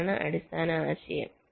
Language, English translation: Malayalam, ok, this is the basic idea